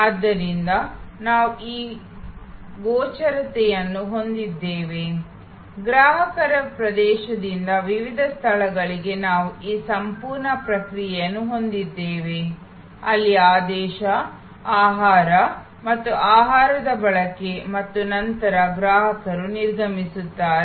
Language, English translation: Kannada, So, we have this line of visibility, we have this whole process from customers entry to the various place, where there is ordering, receiving of the food and consumption of the food and then, the customers exit